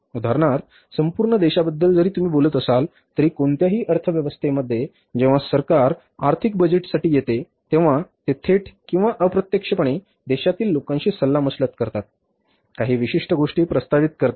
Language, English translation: Marathi, For example even in the country as a whole if you talk about in any economy when the government has to come for the annual budgets, they also directly or indirectly consult the people of the country